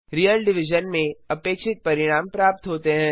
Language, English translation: Hindi, In real division the result is as expected